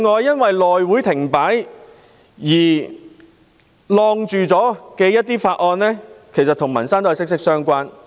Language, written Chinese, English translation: Cantonese, 因內會停擺而被延擱處理的法案都與民生息息相關。, As the House Committee has come to a standstill many bills that are closely related to peoples livelihood have to be suspended